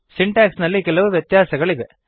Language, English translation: Kannada, There are a few differences in the syntax